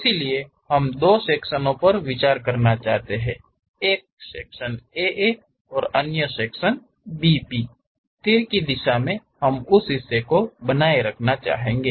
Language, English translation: Hindi, So, we would like to consider two sections; one section A A and other section B B; in the direction of arrow we would like to retain that part